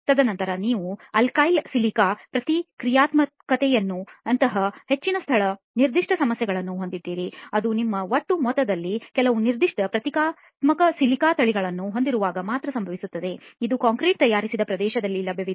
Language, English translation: Kannada, And then you have more location specific problems like alkali–silica reactivity which happens only when you have some specific strains of reactive silica in your aggregate which is available in the locality that the concrete has manufactured